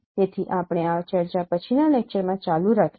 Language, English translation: Gujarati, So we will continue this discussion in the next lecture